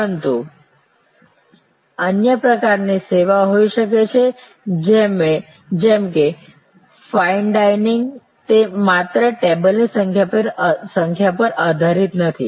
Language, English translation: Gujarati, But, there can be other types of service like fine dining, it is not only depended on the number of tables